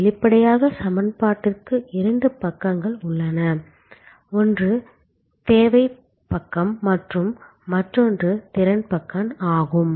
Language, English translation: Tamil, Obviously, there are two sides to the equation, one is the demand side and another is the capacity side